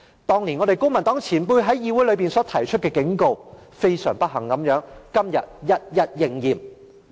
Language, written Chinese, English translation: Cantonese, 當年公民黨前輩在議會內提出的警告，非常不幸地，今天一一應驗。, Very unfortunately the warning raised by former Members from the Civic Party has turned out to be true